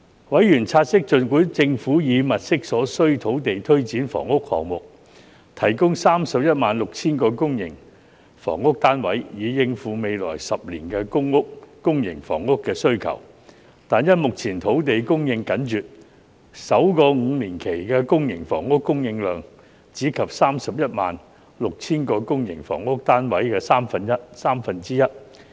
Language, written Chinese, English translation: Cantonese, 委員察悉，儘管政府已物色所需土地推展房屋項目，提供 316,000 個公營房屋單位，以應付未來10年的公營房屋需求，但因目前土地供應緊絀，首個5年期的公營房屋供應量，只及該 316,000 個公營房屋單位的三分之一。, Members noted that notwithstanding the Governments efforts in identifying the land required for pressing ahead housing projects to provide 316 000 public housing units in order to meet the public housing demand in the coming 10 years the current shortage of land would cause the supply of public housing in the first five years to stand at only one third of the 316 000 public housing units